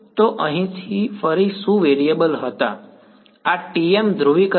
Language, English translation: Gujarati, So, what were the variables over here again this is TM polarization